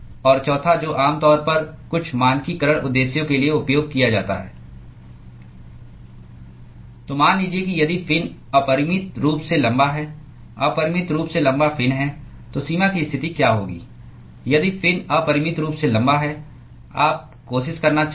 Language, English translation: Hindi, And the fourth one which is generally used for some standardization purposes: So, supposing if the fin is infinitely long infinitely long fin, what will be the boundary condition if the fin is infinitely long you want to try